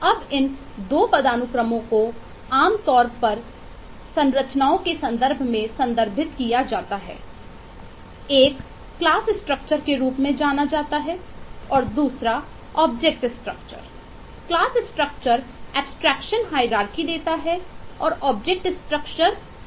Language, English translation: Hindi, now these 2 hierarchies are typically referred in terms of 2 structures known as a class structure and object structure